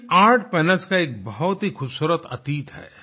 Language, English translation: Hindi, These Art Panels have a beautiful past